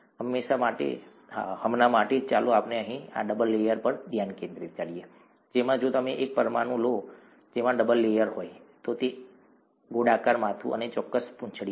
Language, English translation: Gujarati, For now, let us focus on this double layer here, which has, if you take one molecule that comprises a double layer, it has this round head and a certain tail